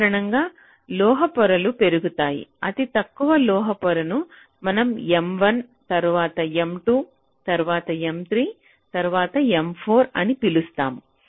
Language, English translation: Telugu, so, as the metal layers go up, the lowest metal layer, we call it m one, then m two, then m three, then m four, like that